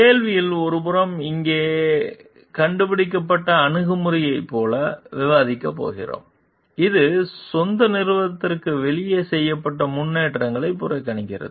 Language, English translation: Tamil, In 5 were going to discuss like on the one hand there is known invented here attitude, which it disregards the advances made outside ones own organization